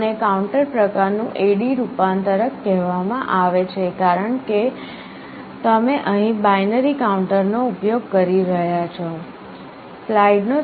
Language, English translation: Gujarati, This is called counter type AD converter because you are using a binary counter here